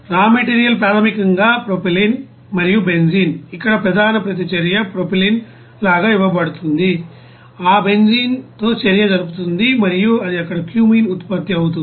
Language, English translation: Telugu, The raw material basically the propylene and you know benzene, main reaction here it is given like propylene will be reacting with that benzene and it will be produced there you know cumene